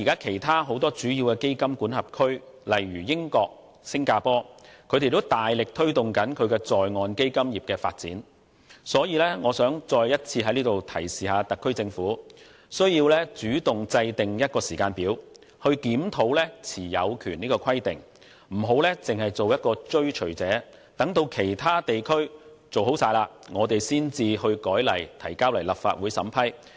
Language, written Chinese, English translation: Cantonese, 其他主要基金管轄區，例如英國和新加坡，目前都大力推動在岸基金業的發展，所以我想再一次提示特區政府須主動制訂時間表，檢討持有權的規定，不要只做追隨者，待其他地區做妥後才修改法例提交立法會審批。, Other major fund jurisdictions such as the United Kingdom and Singapore have been vigorously promoting the development of their onshore fund industry . For this reason I wish to once again remind the SAR Government to proactively set a timetable and review the ownership requirement and refrain from being a follower who simply waits until other jurisdictions have finished amending their legislation before introducing bills into the Legislative Council